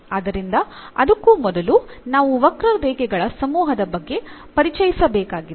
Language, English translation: Kannada, So, before that we need to introduce this family of curves